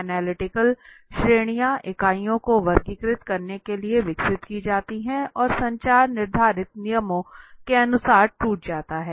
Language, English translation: Hindi, Analytical categories for classifying the units are developed and the communication is broken down according to prescribed rules